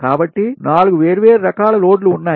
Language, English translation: Telugu, so there are four different type of loads